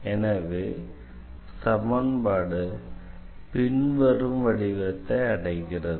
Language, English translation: Tamil, So, we have this equation here